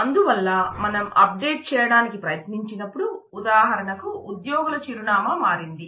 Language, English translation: Telugu, So, but when we try to update then it is for example, the employees address has changed